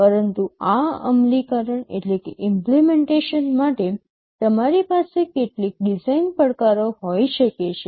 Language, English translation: Gujarati, But in order to have this implementation, you may have some design challenges